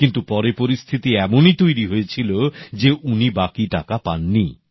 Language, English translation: Bengali, However, later such circumstances developed, that he did not receive the remainder of his payment